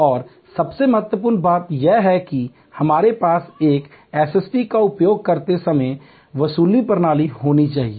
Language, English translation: Hindi, And most importantly we have to have recovery system when we use a SST